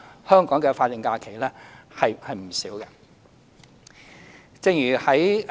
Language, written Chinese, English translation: Cantonese, 香港的法定假日是不少的。, The number of statutory holidays in Hong Kong is not few